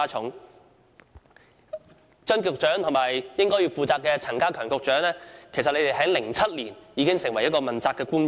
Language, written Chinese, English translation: Cantonese, 負責有關工作的張建宗局長和陳家強局長，在2007年已經出任問責官員。, Secretary Matthew CHEUNG and Secretary Prof K C CHAN who are responsible for the relevant work have been accountability officials since 2007